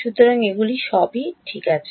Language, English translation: Bengali, So, these are all U’s ok